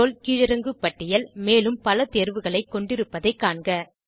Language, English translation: Tamil, Notice that Role drop down list has more options